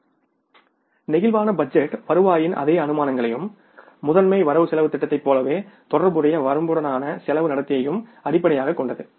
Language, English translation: Tamil, The flexible budget is based on the same assumptions of revenue and the cost behavior within the relevant range as the master budget is